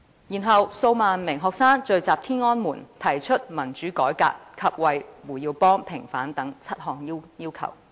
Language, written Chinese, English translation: Cantonese, 然後，數萬名學生又聚集於天安門廣場，提出民主改革及為胡耀邦平反等7項要求。, After that tens of thousands of students gathered at Tiananmen Square to put forth seven requests on democratic reform and the vindication of HU Yaobang